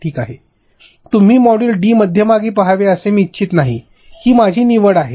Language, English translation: Marathi, I do not want you see module d in middle, it is my choice